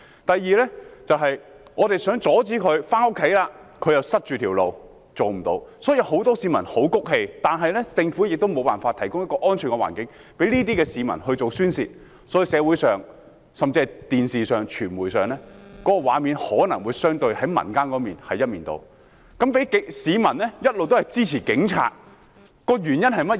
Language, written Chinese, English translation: Cantonese, 第二，我們想阻止他們，要回家了，他們又堵塞道路，令我們做不到，所以很多市民都很氣憤，但政府卻無法提供一個安全的環境讓這些市民宣泄，故此社會上，甚至電視上、傳媒上的畫面可能相對地顯示，民意是一面倒，市民一直支持警察，原因為何？, Second we want to stop them and when we have to go home we do not manage to do so as they would block the roads again . Therefore a great many members of the public are extremely furious but the Government has failed to provide a safe environment for them to vent their spleens . As such what we can see in society and even on the television screen as well as on the media that the public opinions tend to be one - sided relatively and that the public have been supporting the Police all along